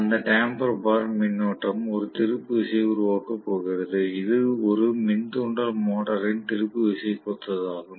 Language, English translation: Tamil, And that damper bar current is going to produce a torque, which is similar to one induction motor torque